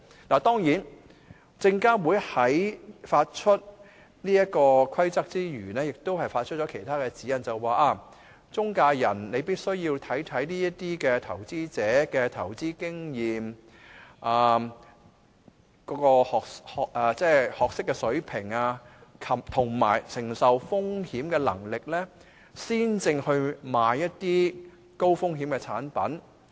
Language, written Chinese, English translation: Cantonese, 當然，證監會發出這個《規則》之餘，亦發出了其他指引，要求中介人必須考慮投資者的投資經驗、學識水平，以及承受風險的能力，才售賣一些高風險產品。, We of course do know that apart from issuing the PI Rules SFC has also published other guidelines requiring intermediaries to consider the investment experience education level and risk tolerance of an investor before selling any high - risk products to him